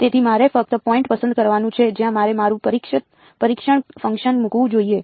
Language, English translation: Gujarati, So, I just have to pick up point where should I place my testing function